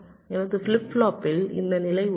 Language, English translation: Tamil, so my flip flop contains this state